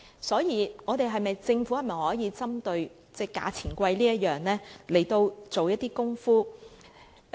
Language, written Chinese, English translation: Cantonese, 所以，政府可否針對"價錢昂貴"這點來做一些工夫？, Hence can the Government do something about the high prices?